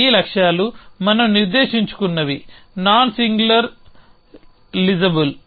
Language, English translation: Telugu, So, these goals are what we set was nonsingular lisable